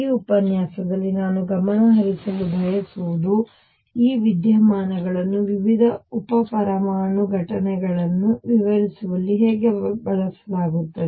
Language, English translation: Kannada, What I want to focus on in this lecture is how this phenomena is used in explaining different subatomic events